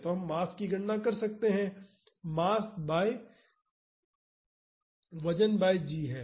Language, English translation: Hindi, So, we can calculate the mass, mass is weight by g